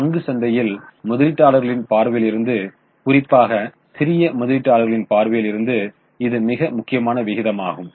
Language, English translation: Tamil, So, this is very important ratio in the stock market from the investors angle, especially from small investors angle